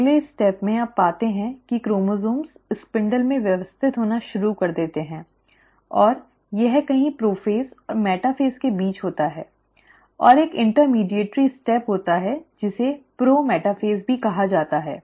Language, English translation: Hindi, At the next step, you find that the chromosomes start arranging in the spindle and this happens somewhere in between prophase and metaphase, and there is an intermediary step which is also called as the pro metaphase